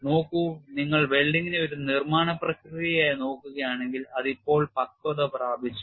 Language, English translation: Malayalam, See, if you look at welding as a manufacturing process, it has matured now